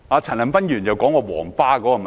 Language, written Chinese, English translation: Cantonese, 陳恒鑌議員提到"皇巴"的問題。, Mr CHAN Han - pan mentioned the problems with Yellow Bus